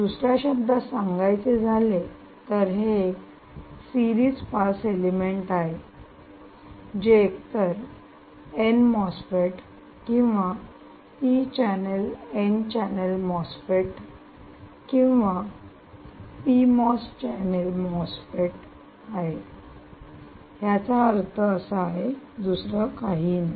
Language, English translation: Marathi, in other words, all that means is the series pass element is either a an n mosfet or a p channel n channel mosfet or a p channel mosfet